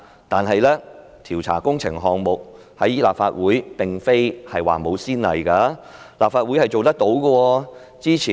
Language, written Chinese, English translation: Cantonese, 但是，調查工程項目，立法會並非沒有先例，立法會是做得到的。, However it is not at all unprecedented for the Legislative Council to investigate works projects and the Legislative Council is capable of doing it